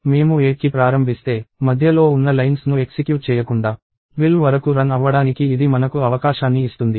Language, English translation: Telugu, If I start at 8, it actually gives me an opportunity to run till 12 without executing the lines in between